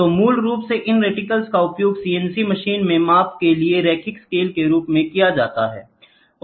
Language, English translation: Hindi, So, basically these reticles are used in used as linear scales for measurements in CNC machines, ok